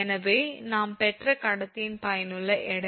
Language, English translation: Tamil, So, effective weight of the conductor we got